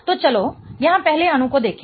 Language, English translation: Hindi, So, let's look at the first molecule here